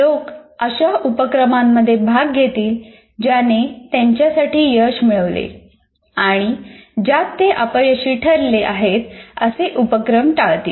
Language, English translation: Marathi, And see, people will participate in learning activities that have yielded success for them and avoid those that have produced failures